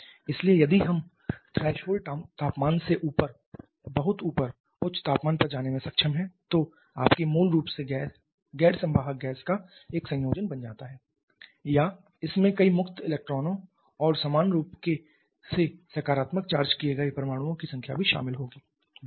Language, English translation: Hindi, So, if we are able to go to very high temperatures well above the threshold temperature then your originally non conducting gas becomes a combination of or it will contain several free electrons and also equal number of positively charged atoms along with of course the neutral body of the main molecules